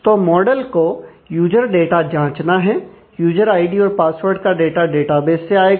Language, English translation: Hindi, So, the model has to check on the user data, the user id and password data and therefore, it has to come from a database